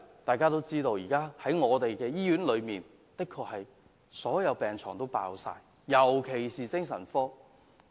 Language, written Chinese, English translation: Cantonese, 大家都知道，現時所有醫院的病床爆滿，特別是精神科的病床。, It is a well - known fact that at present all hospital beds are fully occupied the situation in psychiatric wards is especially serious